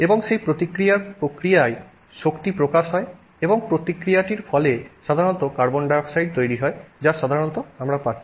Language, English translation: Bengali, And in the process of that reaction, energy is released and the reaction results in the formation typically of carbon dioxide